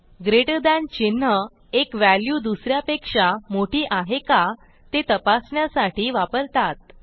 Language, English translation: Marathi, This way, the greater than symbol is used to check if one value is greater than the other